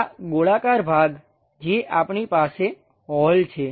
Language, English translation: Gujarati, These circular portions what we have like a hole